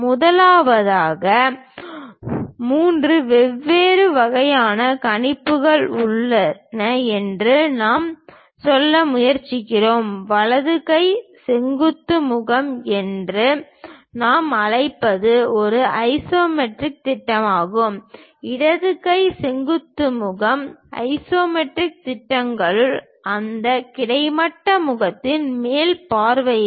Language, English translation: Tamil, The first one what we are trying to say there are three different kind of projections possible one we call right hand vertical face is an isometric projection, left hand vertical face that is also an isometric projections and the top view of that horizontal face